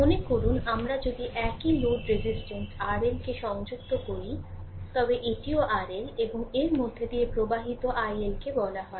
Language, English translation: Bengali, Suppose, if we connect a same load resistance R L, this is also R L right, and current flowing through this is say i L